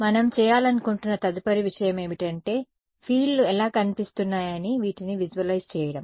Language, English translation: Telugu, The next thing we would like to do is to visualize what these fields look like ok